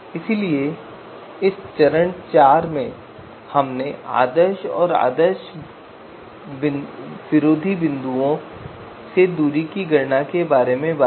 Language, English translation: Hindi, So in this step four we talked about distance computations from ideal and anti ideal points